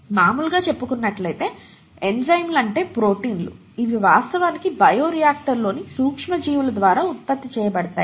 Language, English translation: Telugu, They are not very extensively used nowadays, most enzymes are produced by microorganisms in bioreactors